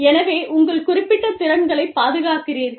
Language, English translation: Tamil, So, you protect your firm specific skills